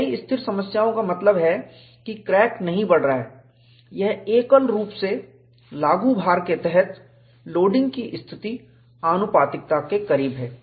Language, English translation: Hindi, In a number of stationary problems, that means, crack is not growing, under a single monotonically applied load, the loading condition is close to proportionality